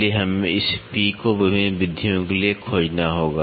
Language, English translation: Hindi, So, we have to find out this P for various methods